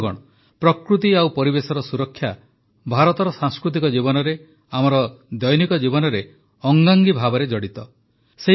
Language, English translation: Odia, Friends, the protection of nature and environment is embedded in the cultural life of India, in our daily lives